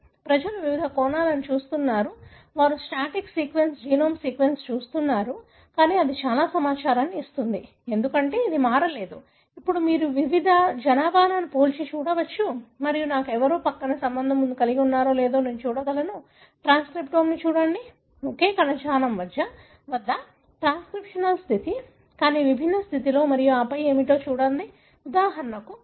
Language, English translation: Telugu, So, people are looking at various aspects, they are looking at the static sequence, the genome sequence, but it gives lot of information because it did not change, now you can compare different population and see who are more related to me or I can look at the transcriptome, the transcriptional status between same tissue, but in different condition and then see what is that, for example infected, not infected, same tissue